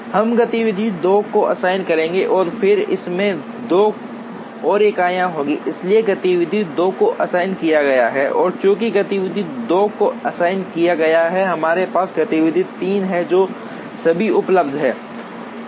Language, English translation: Hindi, So, we would assign based on SPT rule we would assign activity 2 and then it takes 2 more units, so activity 2 has been assigned and since, activity 2 has been assigned we have activity 3 that is available now